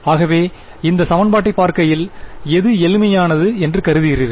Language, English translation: Tamil, So, looking at this equation what is the simplest X omega you can think off